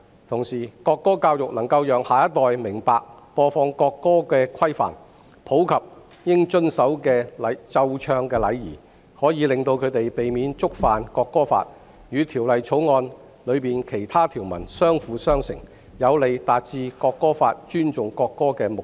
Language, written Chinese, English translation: Cantonese, 同時，國歌教育能夠讓下一代明白播放國歌的規範及應遵守的奏唱禮儀，可以令他們避免觸犯《國歌法》，與《條例草案》的其他條文相輔相成，有利達致《國歌法》尊重國歌的目的。, I believe its implementation will not be difficult and will not affect daily teaching . In addition national anthem education teaches the next generation the rules and etiquette for playing and singing the national anthem so as to prevent them from violating the National Anthem Law . That coupled with the other provisions in the Bill is conducive to achieving the object of the National Anthem Law to respect the national anthem